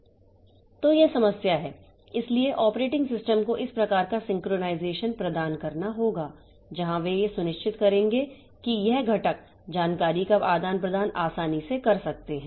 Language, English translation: Hindi, So, the operating system must provide this type of synchronization where they will be ensuring that this components, this exchange of information can take place easily